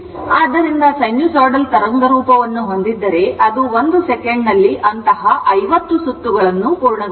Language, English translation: Kannada, So, if you have sinusoidal waveform, so it will complete 50 such cycles 50 such cycles in 1 second right